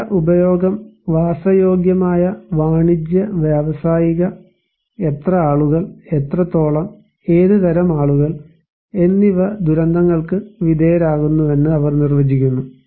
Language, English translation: Malayalam, Let us say, building use; residential, commercial, industrial, they define that how many people, what extent, what type of people are exposed to disasters